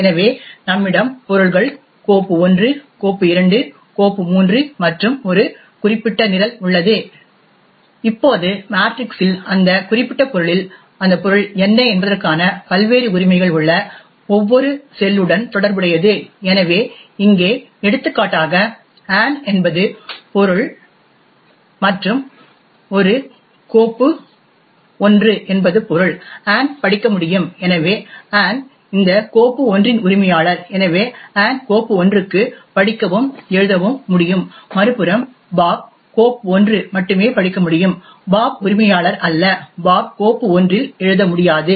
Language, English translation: Tamil, So we have objects file 1, file 2, file 3 and a particular program, now corresponding to each cell in the matrix is the various rights for what that subject has on that particular object, so for example over here Ann is the subject and a file 1 is the object, Ann can read, so Ann is the owner of this file 1 and therefore Ann can read and write to file 1, on the other hand Bob can only read to file 1, Bob is not the owner and Bob cannot right to the file 1